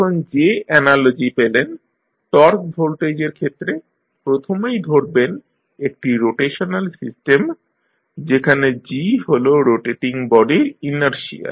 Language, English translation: Bengali, So, the analogy which you get, in case of torque voltage, you first consider one rotational system, where g is the inertia of rotating body